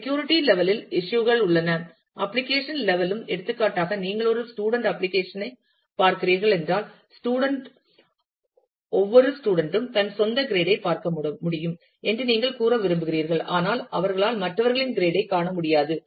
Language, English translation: Tamil, There are issues in terms of security, in terms of the application level also, for example, if you if you are looking at a at a student application where, you want to say that the student, every student can see his or her own grade, but they should not be able to see the grade of others